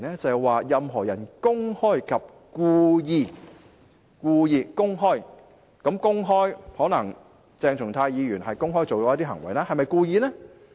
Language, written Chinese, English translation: Cantonese, 是任何人公開及故意——可能鄭松泰議員公開地做了一些行為，但是否故意呢？, A person who publicly and wilfully―Dr CHENG Chung - tai may have committed some acts publicly but did he do them wilfully?―So what acts have to be done wilfully?